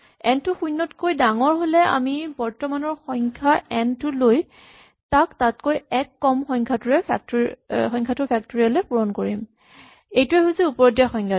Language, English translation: Assamese, If n is greater than 0 then we take the current number and we multiply it by the smaller factorial that is exactly the definition given above